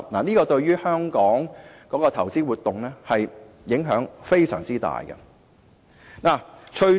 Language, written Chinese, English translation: Cantonese, 這對香港的投資活動影響非常大。, This will have significant impacts on Hong Kongs investment activities